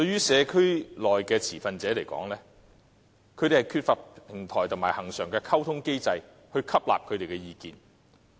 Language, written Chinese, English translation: Cantonese, 社區內的持份者缺乏平台及恆常的溝通機制來表達他們的意見。, There is an absence of a platform and communication mechanism in the community for stakeholders to express their views